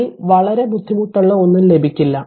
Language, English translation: Malayalam, You will not get much difficult one in this one